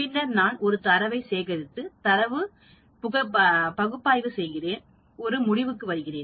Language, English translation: Tamil, Then, I collect the data, and I analyze the data, I come to a conclusion